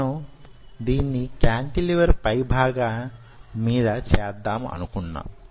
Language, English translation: Telugu, we wanted to do this on top of a cantilever